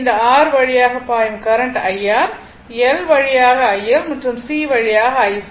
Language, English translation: Tamil, So, current flowing through this R is IR, through L, IL and through IC right